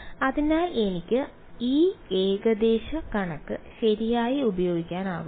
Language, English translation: Malayalam, So, I can I should use that approximation right